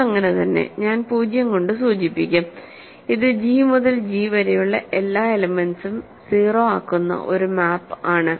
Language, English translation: Malayalam, It is so, I will just denote by 0, it is a map from G to G sending every element to 0